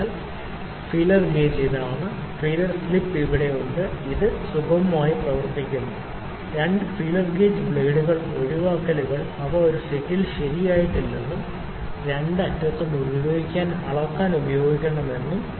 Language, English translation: Malayalam, So, the tapered feeler gauge is this one then feeler strip is here it work identically, two feeler gauge blades exceptions is that they are not corrected in a set and either end can be used to measure